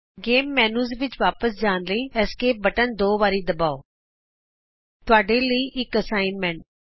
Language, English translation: Punjabi, Press the Escape button twice to go back to the Games menu.ltpausegt Here is an assignment for you